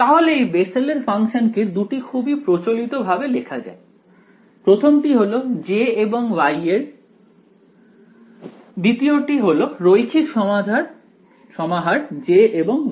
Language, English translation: Bengali, So, the Bessel’s functions are written in two sort of popular ways; first is this way which is J and Y, the second is linear combinations of J and Y